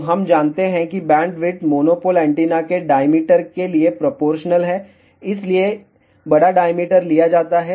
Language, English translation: Hindi, So, we know that bandwidth is proportional to the diameter of the monopole antenna, hence larger diameter is taken